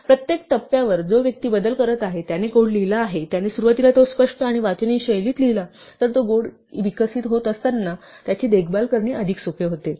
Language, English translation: Marathi, So, at every stage if the person who is making modification starting from the person, who wrote the code initially writes it in a clear and readable style it makes it much easier to maintain the code in a robust manner as it evolves